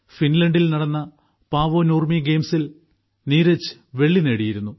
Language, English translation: Malayalam, Neeraj won the silver at Paavo Nurmi Games in Finland